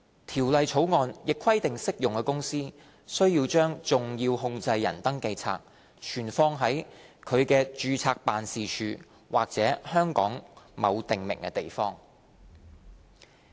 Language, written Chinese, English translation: Cantonese, 《條例草案》亦規定適用公司須將"重要控制人登記冊"存放在其註冊辦事處或香港某訂明地方。, The Bill also requires an applicable company to keep a significant controllers register SCR at its registered office or a prescribed place in Hong Kong